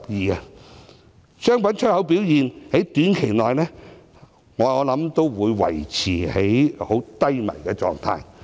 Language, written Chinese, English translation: Cantonese, 相信商品出口表現在短期內，都會維持在低迷狀態。, I believe the performance in the commodities export industry will remain in the doldrums in the short term